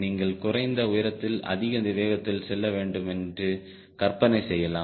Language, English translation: Tamil, you can imagine, at low altitude, high speed